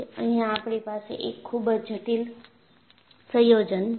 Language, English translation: Gujarati, We have a very complicated combination here